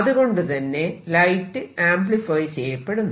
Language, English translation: Malayalam, And so therefore, light gets amplified